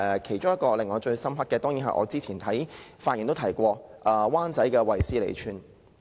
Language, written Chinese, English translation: Cantonese, 其中一個令我最深刻的，當然是我之前發言提及的灣仔"衛斯理村"。, The most impressive example is certainly the Wesley Village in Wan Chai that I have mentioned before . You may probably miss the place if I do not tell you